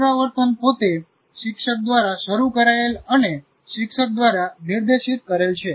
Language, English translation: Gujarati, So, rehearsal itself is teacher initiated and teacher directed